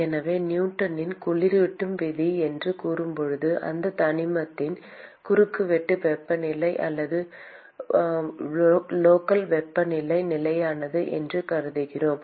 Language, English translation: Tamil, So, when we say Newton’s law of cooling, we assume that the cross sectional temperature or the local temperature of that element is constant